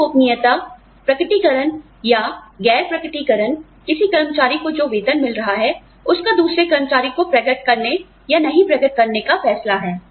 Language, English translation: Hindi, Pay secrecy is, the disclosure or non disclosure, the decision to disclose or not disclose, the salary that, one employee is getting, to another employee